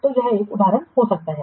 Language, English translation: Hindi, So this could be one example